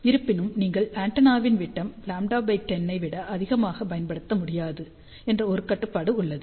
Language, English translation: Tamil, However, there is a restriction that you cannot use diameter of the antenna greater than lambda by 10